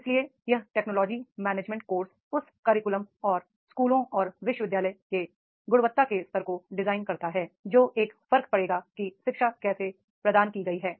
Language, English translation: Hindi, So this technology management course design that curriculum and the schools and universities level of the quality that will make a difference that is the how the education has been provided